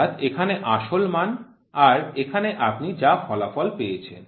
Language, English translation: Bengali, So, here is true value here is the result whatever you get